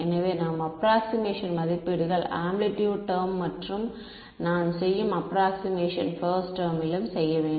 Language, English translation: Tamil, So, the approximations that we make in the amplitude term and the approximations we make in the phase term